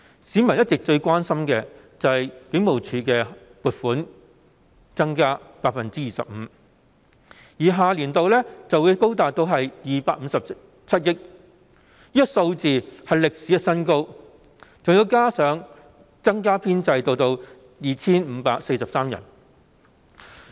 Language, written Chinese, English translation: Cantonese, 市民一直最關心的是警務處增加了 25% 撥款，下年度開支將會高達257億元，是歷史新高，人手編制還會增加 2,543 人。, All along the prime concern of members of the public is that after a 25 % increase in allocation the expenditure of the Hong Kong Police Force in the coming year will mark the record high of 25.7 billion . Furthermore there will be an increase of 2 543 posts in its establishment